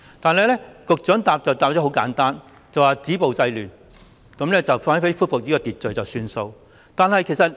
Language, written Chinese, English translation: Cantonese, 但是，局長只作簡單回應，就是止暴制亂，只要恢復秩序便算。, But the Secretarys response is brief . He simply says that the Government will stop violence curb disorder and restore peace and order